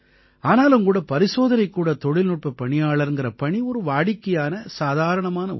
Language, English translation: Tamil, But still, this lab technician's job is one of the common professions